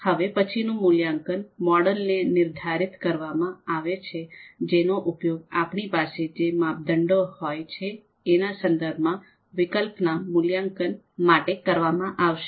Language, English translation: Gujarati, The next one is construct the evaluation model, so the model that is going to be used to evaluate the alternatives with respect to the I know criteria that we might have